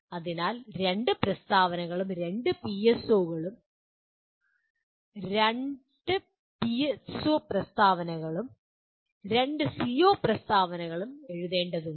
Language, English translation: Malayalam, So two statements, two PSO statements and two CO statements have to be written